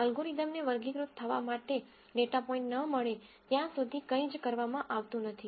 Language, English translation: Gujarati, Nothing is done till the algorithm gets a data point to be classified